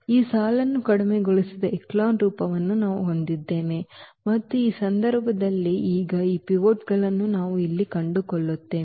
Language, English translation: Kannada, So, what we will have that this is the row reduced echelon form and in this case now, we will find out these pivots here